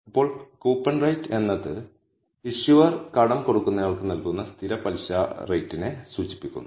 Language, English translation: Malayalam, Now, coupon rate refers to the fixed interest rate that the issuer pays to lender